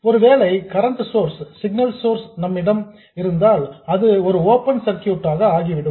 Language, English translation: Tamil, If you had a current source as the signal source it would become an open circuit